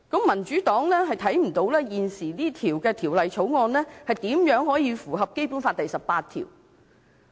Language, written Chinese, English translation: Cantonese, "民主黨看不到現時的《條例草案》如何能夠符合《基本法》第十八條。, The Democratic Party cannot see how the existing Bill complies with Article 18 of the Basic Law